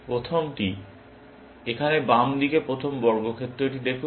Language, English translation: Bengali, The first, look at the first square here, on the left hand side